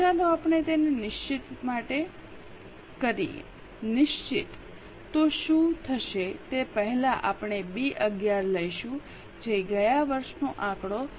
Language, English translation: Gujarati, Fixed what will happen first of all we will take B 11 that is last year's figure into 0